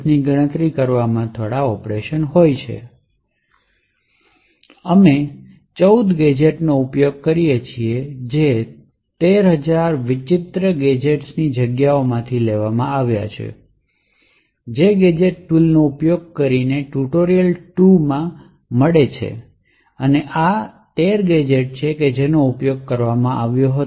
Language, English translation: Gujarati, The gadgets that we use are actually, there are 14 of them, picked from this space of the 13,000 odd gadgets which are found in tutorial 2 using the gadget tool and these are the 13 gadgets which were used